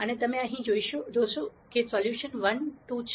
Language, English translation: Gujarati, And as you notice here the solution is 1 2